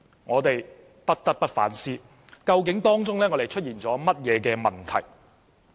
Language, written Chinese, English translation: Cantonese, 我們不得不反思，究竟出現了甚麼問題。, We really have to reflect on what has gone wrong